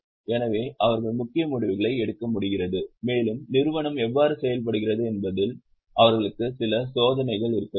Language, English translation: Tamil, So, they are able to take major decisions and they should have some check on how the company is functioning